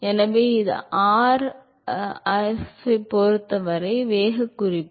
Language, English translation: Tamil, So, this is the velocity profile with respect to r